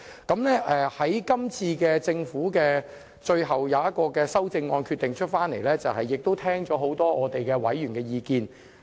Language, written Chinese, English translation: Cantonese, 今次政府最後就修正案作出的決定，是聽取了很多委員的意見。, This time around in making the decision on the final amendments the Government has heeded the many views expressed by Members